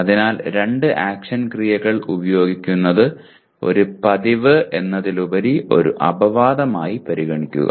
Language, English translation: Malayalam, So please treat using of two action verbs as an exception rather than as a matter of routine